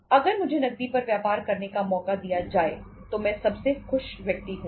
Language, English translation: Hindi, If given a chance to me to do the business on cash I would be the happiest person